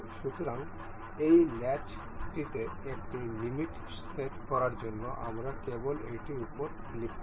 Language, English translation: Bengali, So, to set limit in on to this latch, we will just click over this